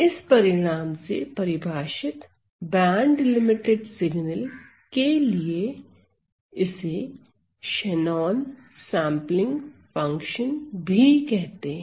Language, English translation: Hindi, So, for this band limited signal, defined by this result, this is also called as my Shannon sampling function; Shannon sampling function